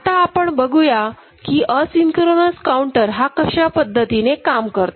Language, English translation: Marathi, Now, we look at asynchronous down counter ok